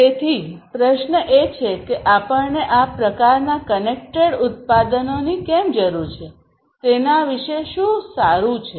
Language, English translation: Gujarati, So, the question is that why do we need this kind of connected products, what is so good about it